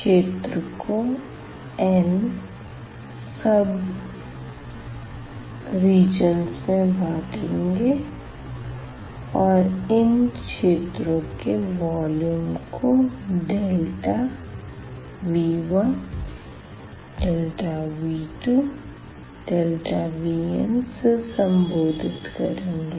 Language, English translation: Hindi, So, we will divide that region into n sub regions and we call the volume of these sub regions by this delta V 1 delta V 2 delta V n